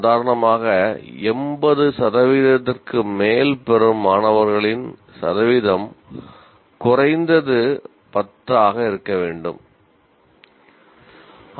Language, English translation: Tamil, For example, percentage of students getting greater than 80% should at least be 10%